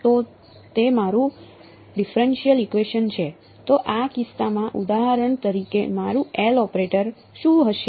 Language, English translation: Gujarati, So that is my differential equation, so in this case for example, what will my L operator be